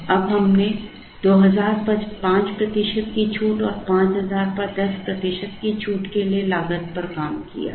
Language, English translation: Hindi, Now, we have worked out the costs for a 5 percent discount at 2000 and a 10 percent discount at 5000